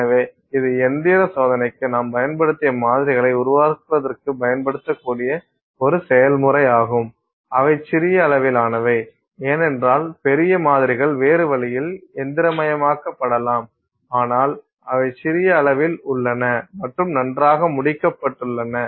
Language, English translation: Tamil, So, that is a process we can use for creating, you know, samples that we can use for say mechanical testing and which are small in size because bigger samples can be machine in some other way but which are small in size and are very well finished